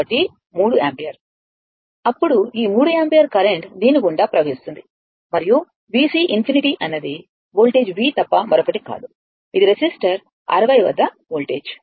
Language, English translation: Telugu, So, is equal to 3 ampere right, then this 3 ampere current is flowing through this and V C infinity is nothing but the V; because voltage act was this is resistor 60, right